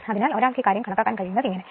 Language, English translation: Malayalam, So, this is how one can calculate your this thing